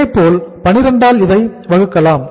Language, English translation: Tamil, Similarly, you can take this as divide by 12